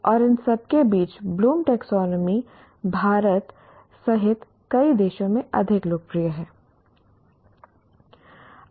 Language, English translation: Hindi, And among all this, Plum's taxonomy has been the seems to be more popular with, popular in several countries, including India